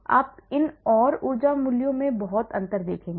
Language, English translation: Hindi, You would see a lot of difference in these and energy values